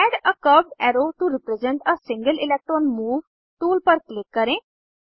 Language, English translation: Hindi, Click on Add a curved arrow to represent a single electron move tool